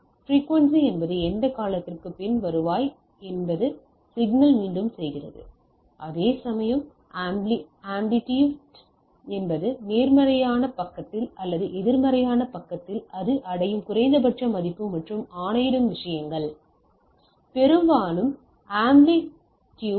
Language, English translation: Tamil, So, frequency means how what is the after what time period is returns repeats the signal whereas, the amplitude is the highest value it attains on the on the positive side or the on the negative side the minimum value it attains and the things that dictates the amplitude of the things